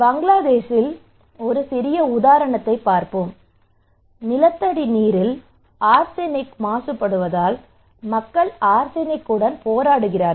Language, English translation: Tamil, Let us look a small example here in Bangladesh; people are battling with arsenic, arsenic contamination of groundwater